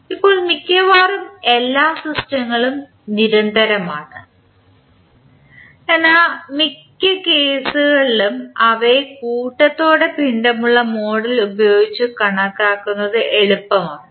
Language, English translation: Malayalam, Now, in reality almost all systems are continuous but in most of the cases it is easier to approximate them with lumped mass model